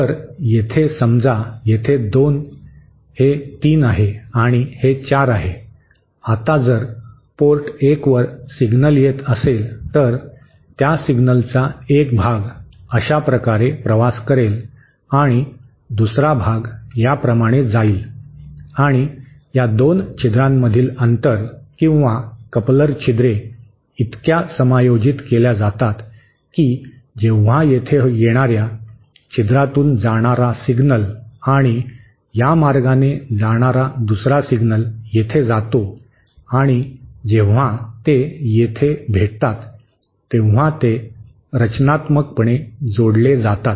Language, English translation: Marathi, Now, if here suppose here 2, this is 3 and this is 4, now if there is a signal coming at port 1 then a part of that signal will travel like this and another part will travel like this and the distance between these 2 holes or coupling holes are so adjusted that when these a signal passing through a hole coming here and another single passing this way and then coming here, when they meet, they add constructively